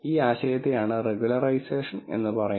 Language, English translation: Malayalam, This idea is what is called as regularization